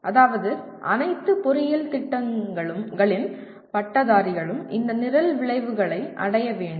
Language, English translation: Tamil, That means graduates of all engineering programs have to attain this program outcomes